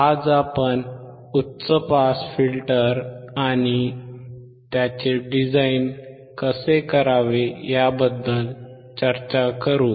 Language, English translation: Marathi, Today we will discuss how to design the high pass filter